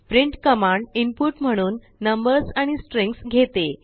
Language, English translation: Marathi, print command, takes numbers and strings as input